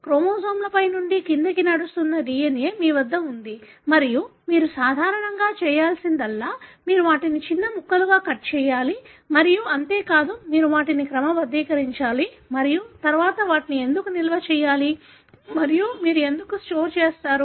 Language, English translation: Telugu, You have the DNA that is running from top to bottom in a chromosome and what you need to do is normally, that you have to cut them into smaller pieces and not only that, you have to sort them and then store them and why do you store